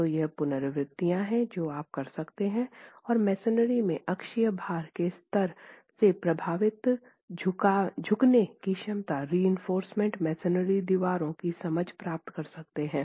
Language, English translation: Hindi, So these are iterations that you can do and get an understanding of the capacity, the bending capacity affected by the axial load levels in masonry, in reinforced masonry walls